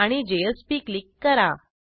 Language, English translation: Marathi, and click on JSP